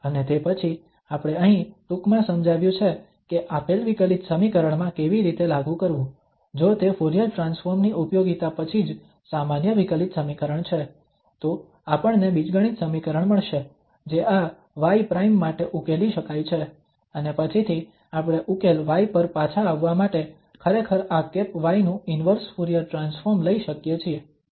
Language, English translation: Gujarati, And then, we have very shortly explained here that how to apply for a given differential equation so we have to, if it is ordinary differential equation just after the application of Fourier transform, we will get an algebraic equation that can be solved for this y prime and later on we can take actually the derivative of this y prime, sorry the inverse Fourier transform of this y prime to get back to the solution y